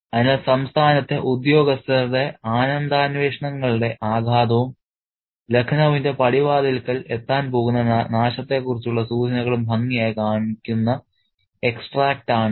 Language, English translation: Malayalam, So, this is the extract that neatly shows the impact of the pleasure pursuits of the offices of the state and it's hints at the ruin that's going to arrive at the doorstep of Lucknow